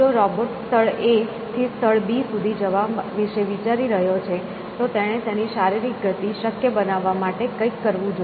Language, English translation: Gujarati, If the robot is thinking about going from place A to place B, it must do something to make their physical movement possible